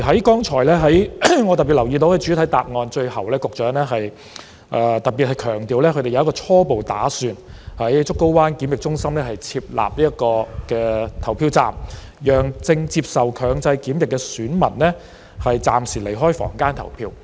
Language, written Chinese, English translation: Cantonese, 剛才我特別留意到，在主體答案的最後部分，局長特別強調他們初步打算在竹篙灣檢疫中心設立投票站，讓正接受強制檢疫的選民暫時離開房間投票。, Just now I have noticed in particular that the Secretary has specifically emphasized in the last part of the main reply their preliminary plan to set up a polling station at the Pennys Bay Quarantine Centre to allow electors who are undergoing compulsory quarantine to temporarily leave their rooms to vote